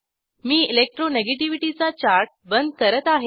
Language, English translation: Marathi, I will close the Electro negativity chart